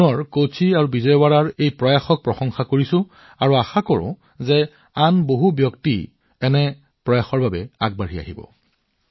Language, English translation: Assamese, I once again applaud these efforts of Kochi and Vijayawada and hope that a greater number of people will come forward in such efforts